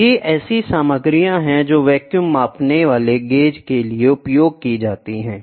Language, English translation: Hindi, So, these are the materials which are used for the vacuum measuring gauge